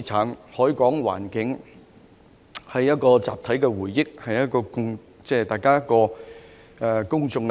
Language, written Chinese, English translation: Cantonese, 香港的海港環境是集體回憶，關乎公眾利益。, The harbour environment of Hong Kong is a collective memory which entails public interests